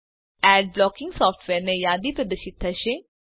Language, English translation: Gujarati, A list of Ad blocking software is displayed